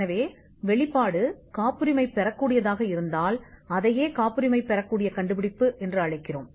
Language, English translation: Tamil, So, if the disclosure is patentable, that is what we call a patentable invention